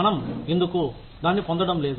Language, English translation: Telugu, Why are we, not getting it